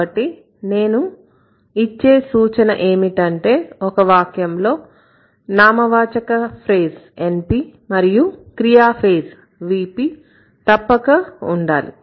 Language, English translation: Telugu, So, if I say, let's say, my suggestion would be in a sentence, there must be a noun phrase and there must be a verb phrase